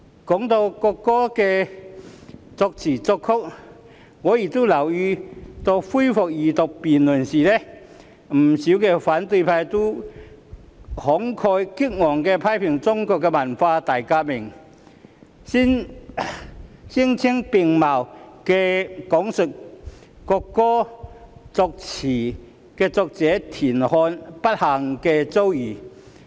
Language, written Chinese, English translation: Cantonese, 提到國歌的作詞人和作曲人，我亦留意到恢復二讀辯論時，不少反對派議員均慷慨激昂地批評中國的文化大革命，聲色並茂地講述國歌作詞人田漢的不幸遭遇。, On the subject of the lyricist and the composer of the national anthem I also notice that during the Second Reading debate many Members of the opposition camp had vehemently criticized the Cultural Revolution in China and given a vivid and sensational account of the ordeal of TIAN Han the lyricist of the national anthem